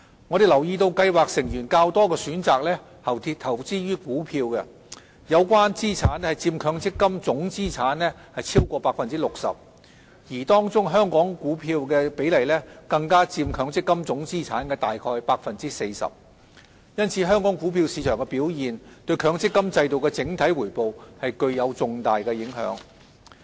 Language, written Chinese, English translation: Cantonese, 我們留意到計劃成員較多選擇投資於股票，有關資產佔強積金總資產超過 60%， 而當中香港股票的比例更佔強積金總資產約 40%， 因此香港股票市場的表現對強積金制度的整體回報具有重大影響。, We note that scheme members have mostly chosen to invest in equities and the relevant assets account for over 60 % of total MPF assets . In particular Hong Kong equities even account for about 40 % of total MPF assets . For this reason the performance of Hong Kongs equity market has a significant impact on the overall return of the MPF System